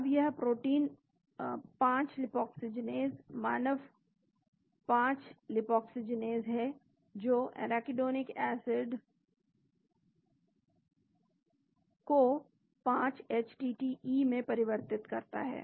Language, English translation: Hindi, Now this protein is 5 Lipoxygenase, human 5 Lipoxygenase which converts arachidonic acid into 5 htte